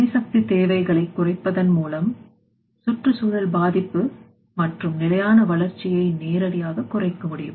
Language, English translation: Tamil, By reducing energy requirements direct reduction on environmental impact and sustainable growth can be obtained